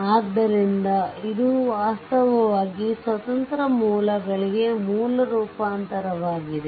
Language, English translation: Kannada, So, this is actually source transformation for independent sources